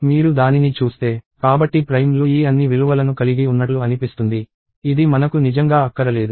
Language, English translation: Telugu, And if you see that right; so primes seems to have all these values, which we really do not want